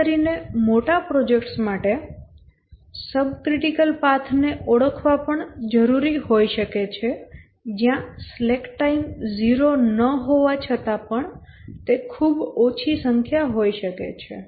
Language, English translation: Gujarati, Especially for larger projects, it may be also necessary to identify the subcritical paths where the slack time even though is not zero for the path but then it may be a very small number